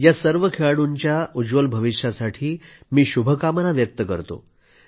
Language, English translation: Marathi, I wish all the players a bright future